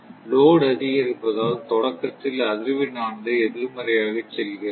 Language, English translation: Tamil, Load has increased, that is why frequency is initially going to the negative side